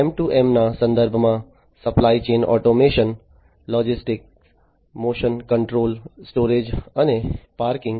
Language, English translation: Gujarati, In the context of M2M, supply chain automation, logistics, motion control, storage and parking and so on